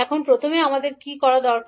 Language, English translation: Bengali, Now, first what we need to do